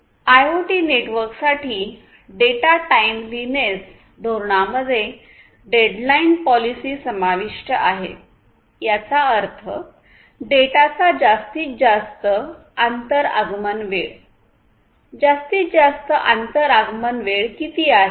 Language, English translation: Marathi, Then data timeliness policies for IoT networks include the deadline policy; that means, the maximum inter arrival time of data; how much is the maximum inter arrival time